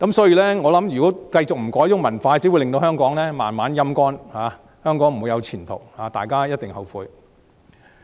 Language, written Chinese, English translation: Cantonese, 如果這種文化不改變，只會令香港慢慢"陰乾"，香港不會再有前途，將來大家一定後悔。, If this culture is not changed Hong Kong will only be dried up and Hong Kong will have no future; everyone will regret that